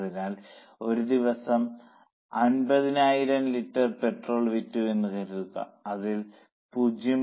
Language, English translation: Malayalam, So, suppose 50,000 litres of petrol is sold in a day, it is known that 0